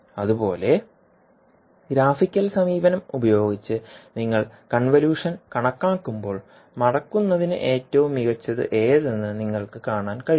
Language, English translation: Malayalam, Similarly when you actually calculate the convolution using the graphical approach you can see which one is the best for the folding